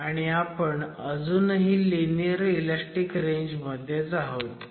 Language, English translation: Marathi, And as you see, we are still in the linear elastic range